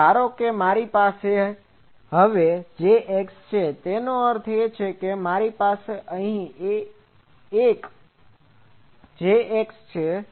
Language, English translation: Gujarati, So, suppose I have a Jx; that means, and I have a Jx here